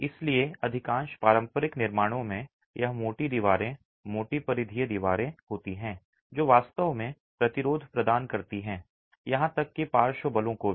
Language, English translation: Hindi, So, in most traditional constructions, its thick walls, thick peripheral walls that actually provided the resistance even to lateral forces